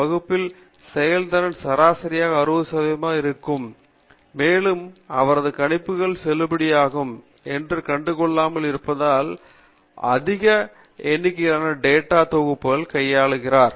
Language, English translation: Tamil, The average level of the performance in the class is likely to be 60 percent, and more often than not you will find that his predictions are valid because he has handled large number of data sets